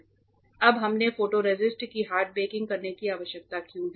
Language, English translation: Hindi, Now, why we need to do a hard baking of the photoresist